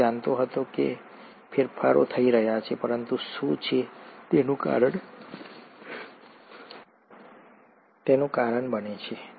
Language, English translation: Gujarati, He knew that the changes are happening, but what is causing it